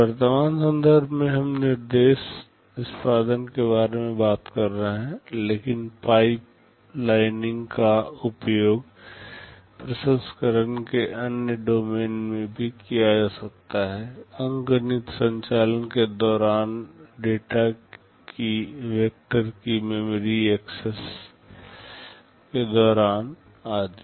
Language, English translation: Hindi, In the present context we are talking about instruction execution, but pipelining can be used very effectively in other domains of processing also, during arithmetic operations, during memory access of a vector of data, etc